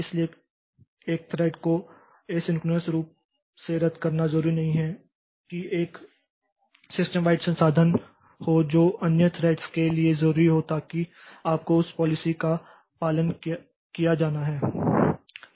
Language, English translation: Hindi, So, canceling a thread asynchronously does not necessarily free a system wide resource that is needed by other threads